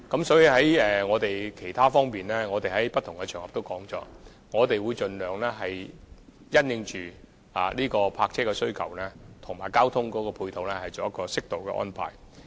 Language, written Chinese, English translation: Cantonese, 所以，我們在不同場合已表示，我們會盡量就泊車的需求和交通配套作適當安排。, We thus have said on different occasions that we will strive to make suitable arrangements having regard to both parking needs and transport facilities